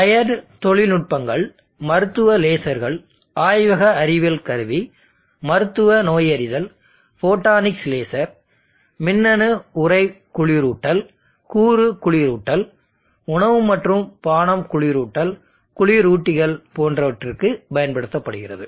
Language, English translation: Tamil, You see there is a lit if application interesting to note that can be used for medical lasers lab science instrumentation clinical diagnostics photonics laser electronic enclosure cool cooling even component cooling food and beverage cooling chillers any way